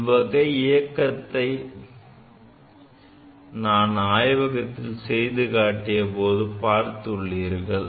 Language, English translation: Tamil, We have seen this type of motion in our laboratory, we have demonstrated